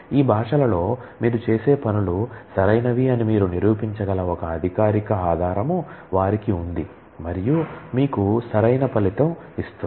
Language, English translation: Telugu, They have a formal basis that can you can prove that whatever do you do in these languages are correct, and will give you the correct result